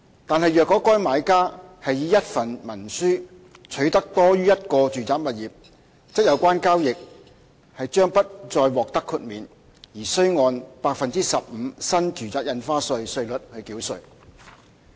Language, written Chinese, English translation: Cantonese, 但是，若該買家是以一份文書取得多於一個住宅物業，則有關交易將不再獲得豁免，而須按 15% 新住宅印花稅稅率繳稅。, However if the buyer concerned acquires more than one residential property under a single instrument the transaction will no longer be exempted and will be subject to the NRSD rate of 15 %